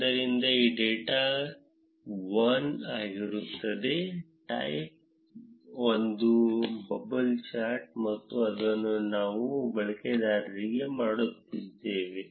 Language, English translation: Kannada, So, it will be data one, type is a bubble chart and we are doing it for the user 1